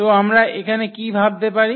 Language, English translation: Bengali, So, what we can think here